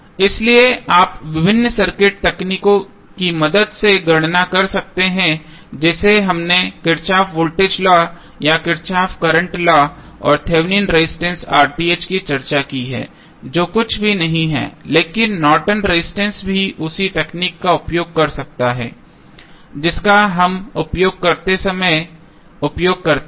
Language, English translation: Hindi, So, this you can calculate with the help of various circuit techniques like we discussed Kirchhoff Voltage Law or Kirchhoff Current Law and the R Th that is Thevenin resistance which is nothing but the Norton's resistance also we can utilize the same technique which we utilize while we were discussing the Thevenm's theorem to find out the value of Norton's resistance